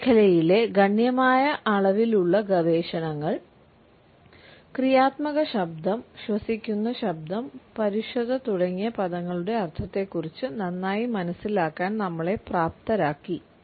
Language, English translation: Malayalam, A considerable amount of research in this field has equipped us with a better understanding of the meaning of such terms as creaky voice, breathy voice and harshness